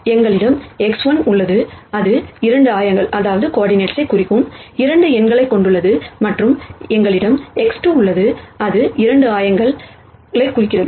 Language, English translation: Tamil, We have x 1 here, which has 2 numbers representing the 2 coordinates and we have x 2 here, which also represents the 2 coordinates